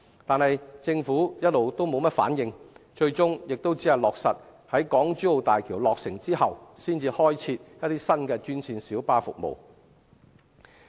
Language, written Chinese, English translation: Cantonese, 然而，政府卻遲遲沒有回應，最終亦只是落實在港珠澳大橋落成之後，才開設新專線小巴服務。, That said the Government has been reluctant to give a reply and it ultimately undertook to introduce new green minibus services following the commissioning of the Hong Kong - Zhuhai - Macao Bridge